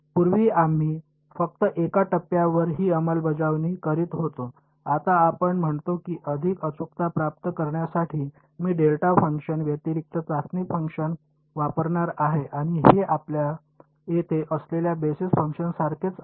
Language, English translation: Marathi, Previously, we were enforcing this at just one point; now, what we say is to get better accuracy I am going to use a testing function other than a delta function and that is the same as a basis function that we here